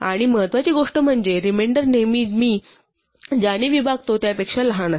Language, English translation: Marathi, And the important thing is remainder is always smaller than what I am dividing by